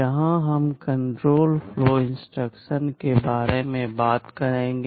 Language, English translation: Hindi, Here we shall be talking about the control flow instructions